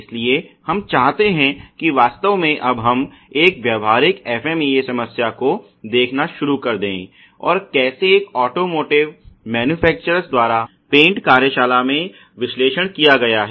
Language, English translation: Hindi, So, we want do actually now start looking at a practical FMEA problem and how the analysis has been carried out in one of the automotive manufactures in their paint shop ok